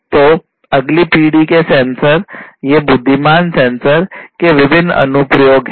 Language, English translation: Hindi, So, there are different applications of next generation sensors these intelligent sensors